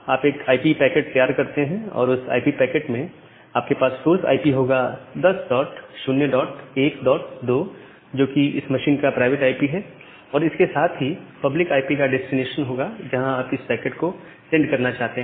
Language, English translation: Hindi, You would prepare an IP packet and in that IP packet you have the source IP of 10 dot 0 dot 1 dot 2 the private IP of this machine and the destination is the public IP where you want to send the packet